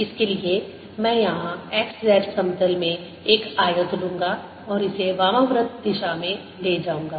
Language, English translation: Hindi, for this i'll take a rectangle in the x, z plane here and traverse it counter clockwise